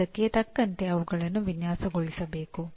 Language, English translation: Kannada, They have to be designed accordingly